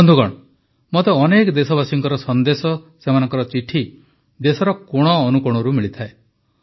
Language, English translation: Odia, Friends, I get messages and letters from countless countrymen spanning every corner of the country